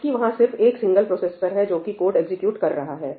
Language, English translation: Hindi, Whereas, there is just a single processor which is executing the code